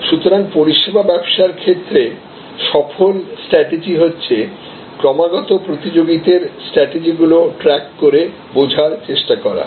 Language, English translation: Bengali, So, successful strategies in the services businesses therefore, will constantly track and try to understand the competitors strategies